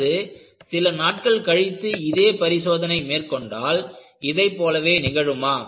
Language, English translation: Tamil, Or, if I repeat the experiment, after a few days, will it happen in the same fashion